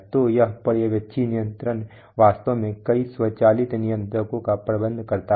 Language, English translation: Hindi, So a supervisory control actually manages a number of automatic controllers right